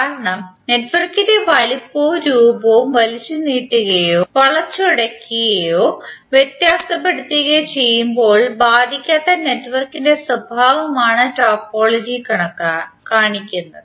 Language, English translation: Malayalam, Because the topology shows us the property of the network which is unaffected when we stretch, twist or distort the size and shape of the network